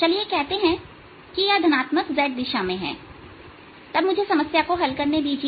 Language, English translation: Hindi, if i have a uniform magnetization m, lets say in the positive z direction, then so let me solve this problem